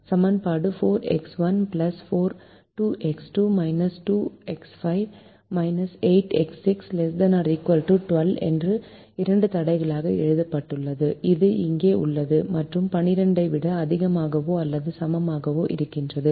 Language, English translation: Tamil, the equation is written as two constraints: four x one plus two x two, minus two x five, minus eight x six, less than or equal to twelve, which is here, and the same thing, greater than or equal to twelve